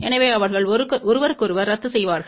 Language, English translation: Tamil, So, they will cancel each other